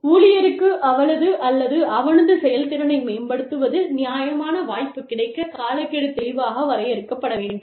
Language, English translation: Tamil, And, the timelines should be clearly defined, for the employee, to have a fair chance, at improving her or his performance